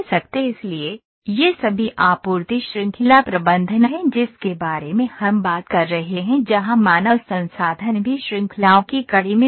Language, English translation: Hindi, So, this is all supply chain management that we are talking about where human resource is also one of the link of the chains